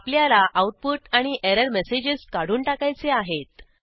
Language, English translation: Marathi, I want both the output and error messages to be discarded